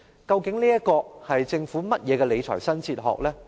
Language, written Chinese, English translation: Cantonese, 究竟這是政府甚麼的理財新哲學呢？, What kind of fiscal philosophy has the Government adopted?